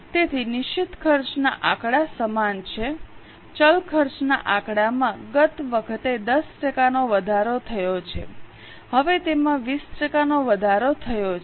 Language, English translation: Gujarati, Figures of variable cost have last time increased by 10% now they have increased by 20%